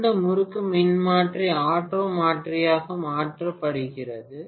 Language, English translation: Tamil, How to connect two wind transformer as an auto transformer